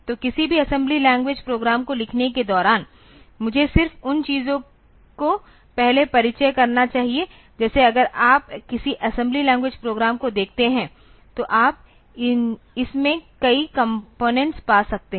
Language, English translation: Hindi, So, while writing any assembly language program let me just introduce just those things first like if you look into any assembly language program then you can find several components in it assembly language program